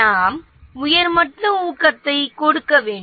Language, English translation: Tamil, We need to give a higher level incentive